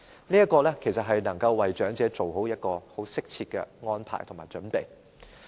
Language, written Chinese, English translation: Cantonese, 這其實能夠為長者作出適切的安排和準備。, This can indeed make suitable arrangements and preparations for the elderly